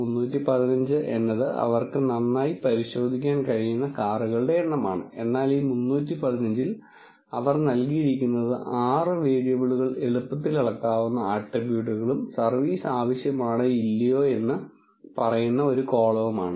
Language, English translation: Malayalam, 315 is the number of cars that they can thoroughly check, but they have given in this 315 the 6 variables are the attributes which are easily measurable and one column which says whether service is needed or not